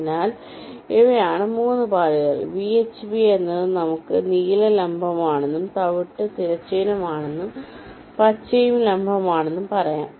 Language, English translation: Malayalam, v h v is, lets say, blue is vertical, brown is horizontal, green is also vertical